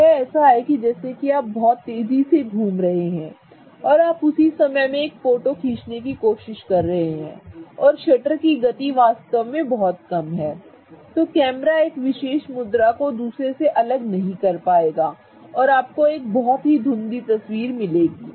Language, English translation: Hindi, So, this is like if you are moving around very, very quickly and if you are and trying to capture a photo at the same time and the shutter speed is really really low, what is going to happen is that the camera is not going to be able to detect one particular pose compared to the other and you are going to get a very fuzzy picture